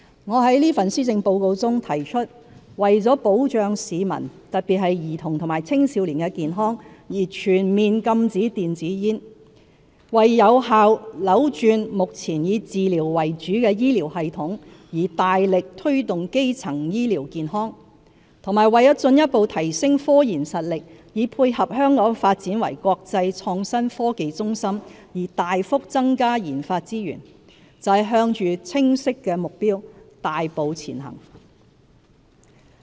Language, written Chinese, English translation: Cantonese, 我在這份施政報告中提出為保障市民——特別是兒童和青少年——的健康而全面禁止電子煙、為有效扭轉目前以治療為主的醫療系統而大力推動基層醫療健康，以及為進一步提升科研實力以配合香港發展為國際創新科技中心而大幅增加研發資源，就是向着清晰的目標大步前行。, In this Policy Address I propose a total ban on electronic cigarettes for protecting the health of our citizens particularly children and teenagers; actively promote primary health care services to change the present treatment - oriented health care system and significantly increase resources for research and development RD to further enhance our research capability for supporting Hong Kongs development into an international IT centre . All these are big strides towards clear objectives